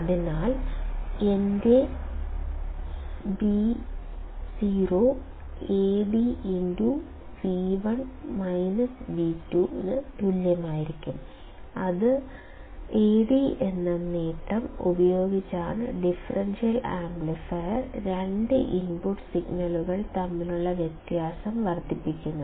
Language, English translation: Malayalam, So, if my Vo equals to Ad into V1 minus V2; then Ad is gain with which the differential amplifier, amplifies the difference between two input signals and it is also called as the differential gain